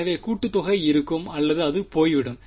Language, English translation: Tamil, So, will the summation remain or will it go away